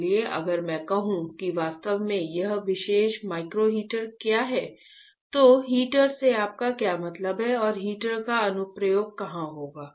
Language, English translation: Hindi, So, if I say what exactly this particular micro heater is, then what I can show it to you that what you mean by heater and where the application of the heater would be